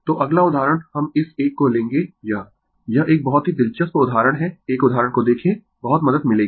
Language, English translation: Hindi, So, next example, we will take this one this is a very interesting example look one example will help you a lot